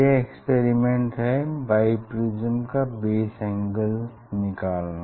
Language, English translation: Hindi, Determination of the base angle of the of the biprism